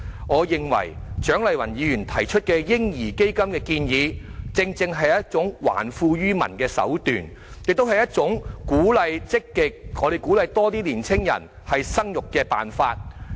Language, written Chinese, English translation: Cantonese, 我認為，蔣麗芸議員提出的"嬰兒基金"建議，正正是一種還富於民的手段，也是一種積極鼓勵更多年青人生育的辦法。, In my view Dr CHIANG Lai - wans proposal for a baby fund is precisely a means to return wealth to the people and a way to actively encourage more young people to have children